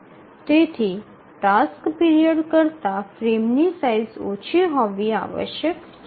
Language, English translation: Gujarati, So a frame size must be less than every task period